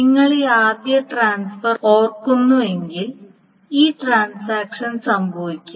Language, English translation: Malayalam, And if you remember this first transaction T1 transfers and then this transaction happens